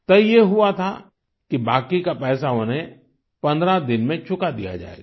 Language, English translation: Hindi, It had been decided that the outstanding amount would be cleared in fifteen days